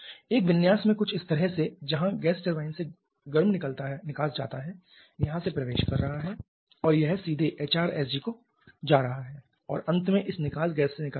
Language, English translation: Hindi, In a configuration something like this where the hot exhaust goes from the gas turbine is entering from here and it is directly going down to the HRSG and finally living through this exhaust gas